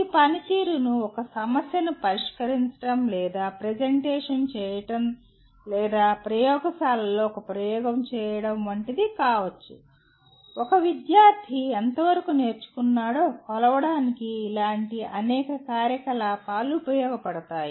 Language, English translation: Telugu, This performance could be like solving a problem or making a presentation or performing an experiment in the laboratory, it can be, there are many such activities which can be used to measure to what extent a student has learnt